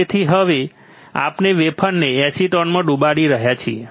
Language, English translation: Gujarati, So, we are now dipping the wafer in to acetone